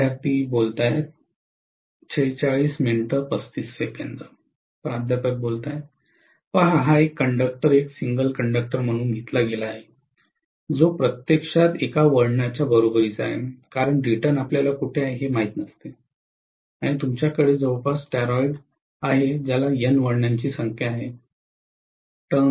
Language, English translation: Marathi, (())(46:35) See this conductor is taken as one single conductor, which is actually equivalent to one turn, because return you do not know where it is and around that you are having a toroid which have N number of turns, right